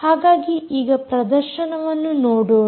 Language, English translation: Kannada, so let us see a demonstration of this